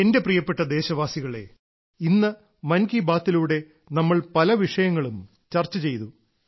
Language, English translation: Malayalam, My dear countrymen, today in 'Mann Ki Baat' we have discussed many topics